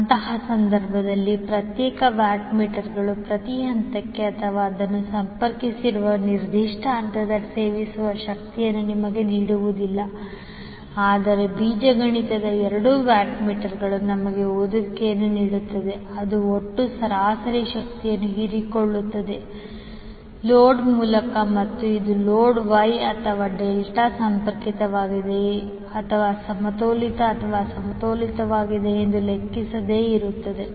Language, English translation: Kannada, So in that case the individual watt meters will not give you the reading of power consumed per phase or in a particular phase where it is connected, but the algebraic sum of two watt meters will give us the reading which will be equal to total average power absorbed by the load and this is regardless of whether the load is wye or Delta connected or whether it is balanced or unbalanced